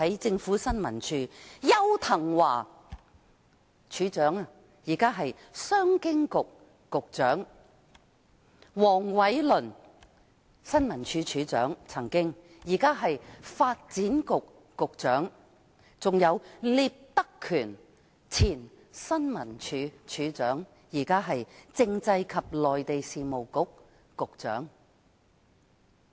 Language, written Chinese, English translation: Cantonese, 前新聞處處長邱騰華，現出任商務及經濟發展局局長；另一前任處長黃偉綸，現出任發展局局長；還有聶德權，也曾出任處長，現已為政制及內地事務局局長。, Edward YAU the former Director of ISD is now the Secretary for Commerce and Economic Development . Another former Director Michael WONG is now the Secretary for Development . As for Patrick NIP he had been the Director of ISD once and is now the Secretary for Constitutional and Mainland Affairs